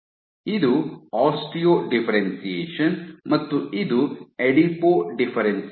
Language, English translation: Kannada, This is Osteo differentiation and this is Adipo differentiation